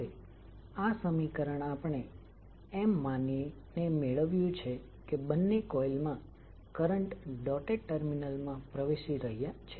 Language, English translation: Gujarati, Now this equation we derived by assuming that the currents in both coils are entering the dotted terminal